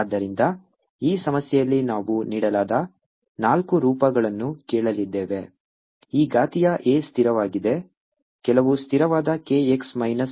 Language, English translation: Kannada, so in this problem we are going to ask, of the four forms given e exponential a is a constant, some constant k x minus v t, square one form, other form is a exponential i k z plus v t